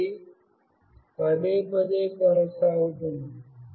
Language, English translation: Telugu, This goes on repeatedly